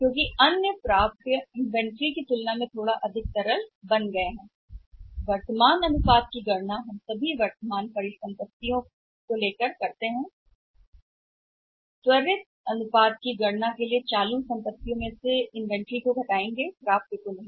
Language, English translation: Hindi, Because other receivables have become a little more liquid as compared to the inventory so for calculating the current ratio we take all current assets for quick ratio current assets minus inventory but not minus receivables